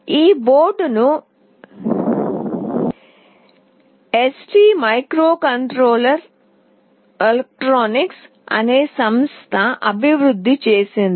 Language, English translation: Telugu, This board is developed by a company called ST microelectronics